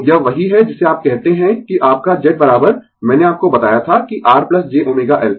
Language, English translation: Hindi, So, this is what you call that your Z is equal to I told you that R plus j omega L